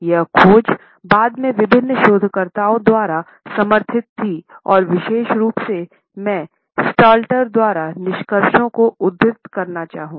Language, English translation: Hindi, This finding was later on supported by various other researchers and particularly I would like to quote the findings by Stalter